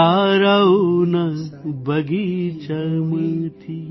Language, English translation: Gujarati, From the garden of the stars,